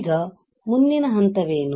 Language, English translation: Kannada, Now what is next step